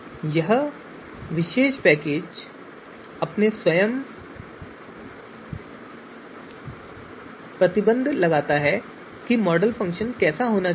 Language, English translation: Hindi, So this particular package imposes its own restriction on how the model function should be